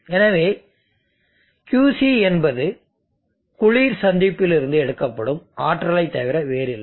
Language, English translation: Tamil, Let us say Qc amount of energy is removed from the cold junction